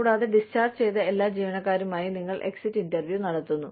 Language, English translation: Malayalam, And, you conduct exit interviews, with all discharged employees